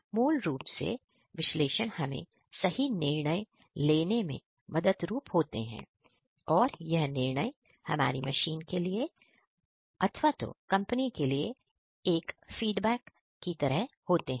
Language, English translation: Hindi, And also based on the analytics, you get different decisions which has to be feedback either to the machines or to the management in the company